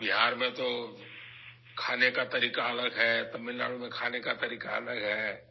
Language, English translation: Urdu, In Bihar food habits are different from the way they are in Tamilnadu